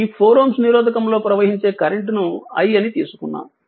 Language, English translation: Telugu, So, that is the current flowing to 2 ohm resistance that is i y t